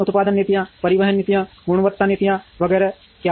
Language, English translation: Hindi, What are the production policies, transportation policies, quality policies etcetera